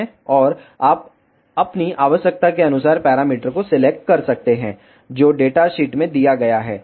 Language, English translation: Hindi, And you can select the parameters according to your requirement whatever is given in the data sheet